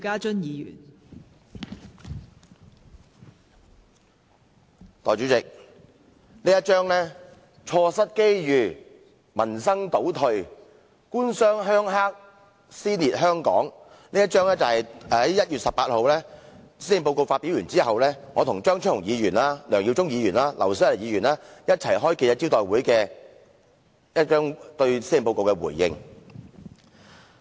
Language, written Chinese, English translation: Cantonese, 代理主席，"錯失機遇，民生倒退，官商鄉黑，撕裂香港"，這是我與張超雄議員、梁耀忠議員和劉小麗議員，在1月18日施政報告發表後一起召開記者招待會時對施政報告的回應。, Deputy President Opportunities Gone Livelihood Retrogressed Government - Business - Rural - Triad Collusion and Social Dissension . This is the response I together with Dr Fernando CHEUNG Mr LEUNG Yiu - chung and Dr LAU Siu - lai made when we met the press after the Policy Address delivery on 18 January